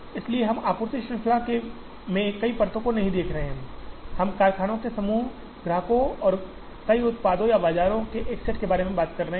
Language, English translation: Hindi, So here, we are not looking at multiple layers in the supply chain, we are talking about a set of factories and a set of customers and multiple products or multiple markets